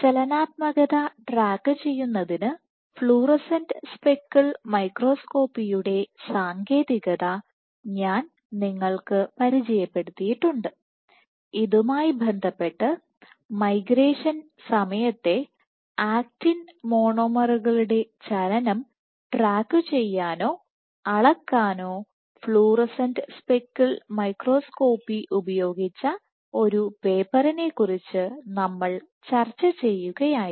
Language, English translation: Malayalam, So, we have been I have introduced you the technique of fluorescent speckle microscopy for tracking dynamics, and in this regard we were discussing a paper where fluorescent speckle microscopy was performed to track or quantify actin monomers movement during migration